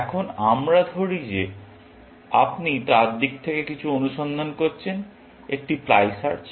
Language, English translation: Bengali, Now, Let us say you are doing some search from his point; one ply search